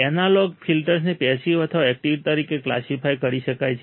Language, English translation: Gujarati, Analog filters may be classified either as passive or active